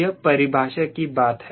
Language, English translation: Hindi, it is a macro of definition